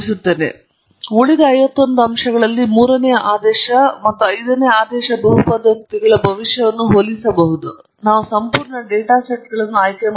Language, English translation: Kannada, And we can quickly compare the predictions of the third order and fifth order polynomial on the remaining fifty one points or we can choose the full data sets